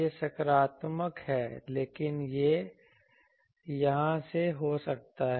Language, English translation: Hindi, This is positive, but this may be here